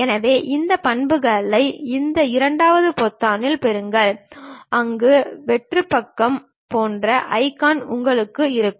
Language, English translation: Tamil, So, those properties we will get it at this second button where you will have an icon like a blank page